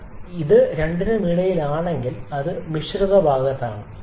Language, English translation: Malayalam, But if it is in between the two it is another mixture side